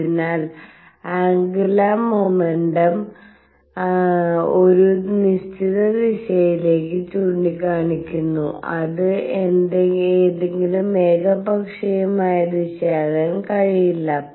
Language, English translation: Malayalam, So that the angular momentum is pointing in certain direction it cannot be any arbitrary direction